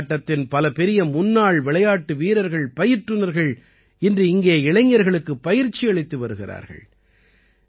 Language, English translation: Tamil, Today, many noted former football players and coaches are imparting training to the youth here